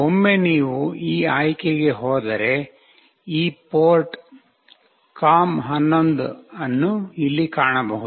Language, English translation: Kannada, Once you go to this option you will find this port com11 here